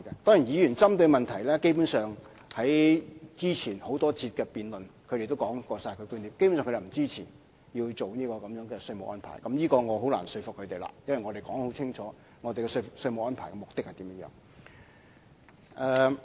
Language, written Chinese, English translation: Cantonese, 當然，議員針對的問題，根本上在之前多次辯論中亦已經提出過，他們基本上便是不支持有關稅務安排，就此，我便是難以說服他們的，因為我們已經清楚指明有關稅務安排的目的為何。, Such issues have in fact been raised in the previous debate sessions and Members who brought them up are basically against the proposed tax regime . In this connection I find it hard to convince them because we have already explained very clearly the objectives of the proposed tax regime